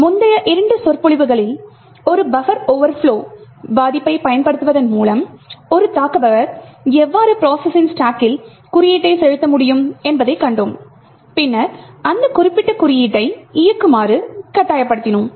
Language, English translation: Tamil, In the previous two lectures what we have seen was how an attacker could inject code in the stack of another process by exploiting a buffer overflow vulnerability and then force that particular code to execute